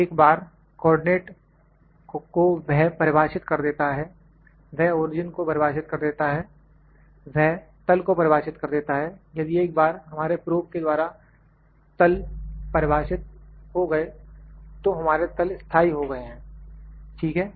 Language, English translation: Hindi, Once, he defines the co ordinates, he defines the origin, he defines the plane if, once the plane is defined by our probe so, it has fixed that plane, ok